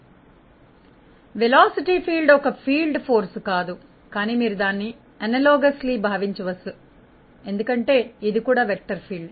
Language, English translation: Telugu, Now, if you think of the velocity field; velocity field is not exactly like a force field, but you may think it analogously because, it is also a vector field